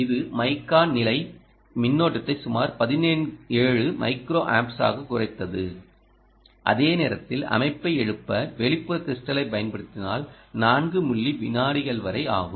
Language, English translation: Tamil, this lowered mica stand by current to about seventeen micro amps while waking up the system takes up to four milliseconds if using external crystal